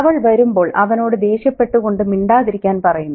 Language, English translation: Malayalam, She comes and she's annoyed and she asks him to keep quiet